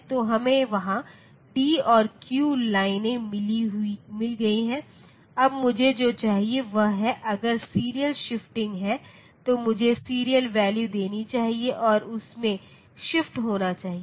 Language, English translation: Hindi, So, we have got d and q lines there, now what I want is if the serial is the shear shifting is there then I should give the serial value and that should be shifted in